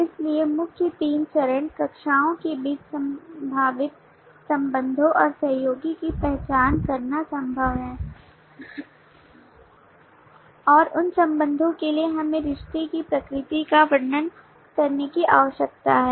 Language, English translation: Hindi, so the main three steps are the possible identifying the possible relationships and collaborations between classes and for those relationships we need to describe the nature of the relationship